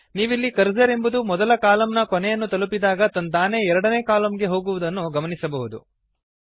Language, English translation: Kannada, You see that the cursor automatically goes to the next column after it reaches the end of the first column